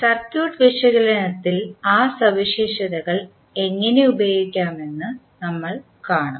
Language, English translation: Malayalam, And we will see how we can use those properties in our circuit analysis